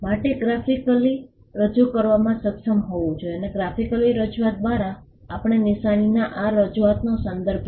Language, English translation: Gujarati, The mark should be capable of being graphically represented, and by graphical representation we refer to the representation of this of a sign